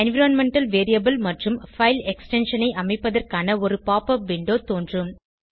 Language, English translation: Tamil, A popup window for setting environmental variable and file extension will appear